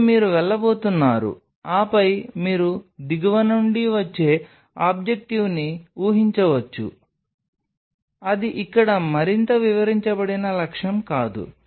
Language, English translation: Telugu, Then you are going to go, then you can use objective which is coming from the low from underneath it is no more apprised objective here